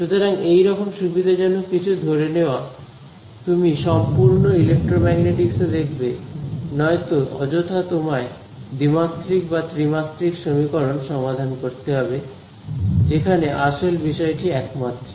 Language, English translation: Bengali, So, these kind of convenient assumptions you will find made throughout the electromagnetics otherwise unnecessarily you will be solving a 2 or 3 dimensional equation; when actually the actual physics is only 1 dimensional